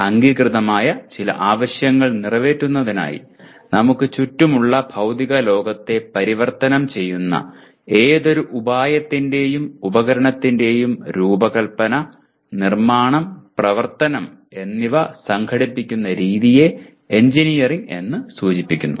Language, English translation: Malayalam, Engineering refers to the practice of organizing the design, construction, and operation of any artifice which transforms the physical world around us to meet some recognized need, okay